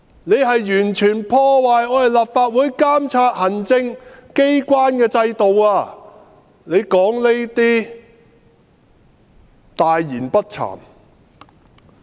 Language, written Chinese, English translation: Cantonese, 你完全破壞立法會監察行政機關的制度；你說這些話，大言不慚。, You have completely destroyed the mechanism for the Legislative Council to monitor the Executive Authorities . Yet you dare to speak like that . Shame on you!